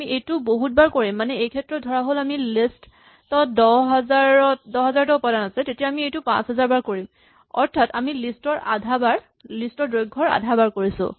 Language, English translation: Assamese, Well we just do it a large number of times in this case say we have 10000 elements in a list, we will do this 5000 times we do it length of l by 2 times